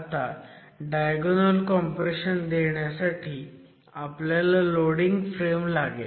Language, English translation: Marathi, To introduce diagonal compression you need the loading frame